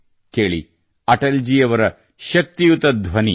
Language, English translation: Kannada, Listen to Atal ji's resounding voice